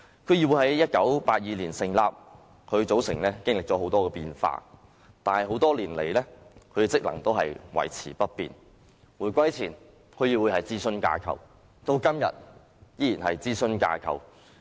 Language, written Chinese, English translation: Cantonese, 區議會在1982年成立，其組成經歷了許多變化，但多年來，區議會的職能維持不變，回歸前區議會是諮詢架構，至今天依然是諮詢架構。, DCs were established in 1982 and their composition has undergone many changes . However over the years the functions of DCs have remained the same an advisory framework before the reunification and still an advisory framework today